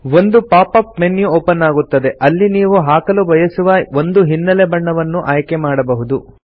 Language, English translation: Kannada, A pop up menu opens up where you can select the color you want to apply as a background